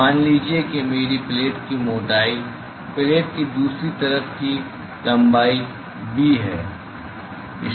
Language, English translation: Hindi, So, suppose if I have the thickness of my plate is b on the other side length of the plate